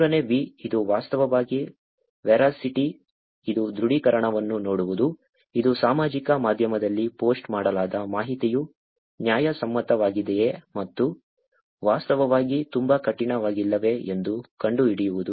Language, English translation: Kannada, The third V, which is actually the Veracity, which is to see the confirmation, which is to find out whether an information which is posted on social media is legitimate and not actually very hard